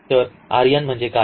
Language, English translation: Marathi, So, what is the R n